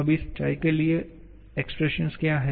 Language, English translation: Hindi, So, what will be the expression for the G